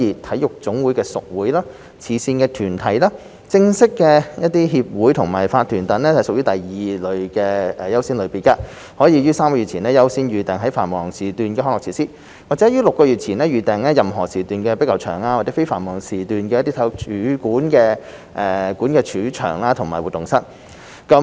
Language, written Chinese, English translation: Cantonese, 體育總會的屬會、慈善團體、正式協會和法團等則屬第二優先類別，可於3個月前優先預訂在繁忙時段的康樂設施，或於6個月前預訂任何時段的壁球場及在非繁忙時段的體育館主場和活動室。, Affiliated clubs of NSAs charitable organizations bona fide associations and corporations are among the second priority category under which they are allowed to reserve peak slots of recreation and sports facilities up to three months in advance or all slots of squash courts as well as non - peak slots of main arenas and activity rooms of sports centres up to six months in advance